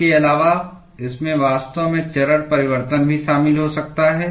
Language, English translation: Hindi, Besides, it might actually involve phase change as well